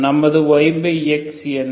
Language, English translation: Tamil, So what is my Y by X